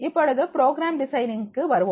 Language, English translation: Tamil, Now we come to the program design